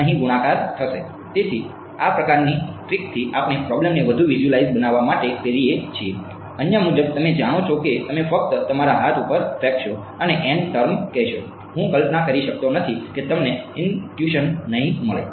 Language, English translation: Gujarati, So, these kinds of tricks we do to make the problems more visualizable other wise you know you will just throw up your hands and say n variables, I cannot visualize it you will not getting intuition